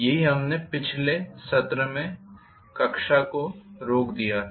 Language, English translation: Hindi, And that is where we had stopped the class in the last session